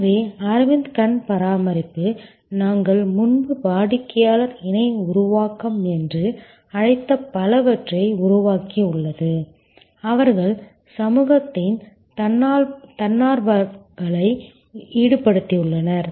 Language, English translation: Tamil, So, Aravind eye care has created a lot of what we called earlier customer co creation, they have involved volunteers from community